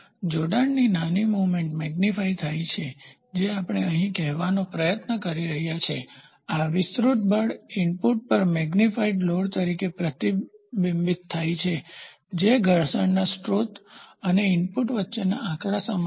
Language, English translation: Gujarati, So, small movement in linkage gets magnified that is what we are trying to say here, this amplified force is reflected back to the input as magnified load which is numerically equal to the gain between the source of friction and the input